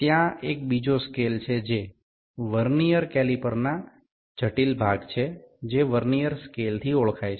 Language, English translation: Gujarati, There is another scale which is the critical component of this Vernier caliper that is known as Vernier scale